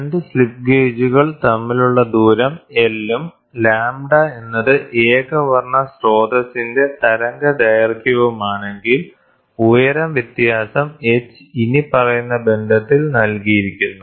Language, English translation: Malayalam, So, if the distance between the 2 slip gauges is L, and lambda is the wavelength of the monochromatic source, then the height difference h is given in the following relationship